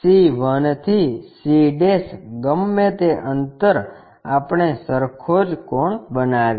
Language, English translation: Gujarati, c 1 to c' whatever that distance we make that same angle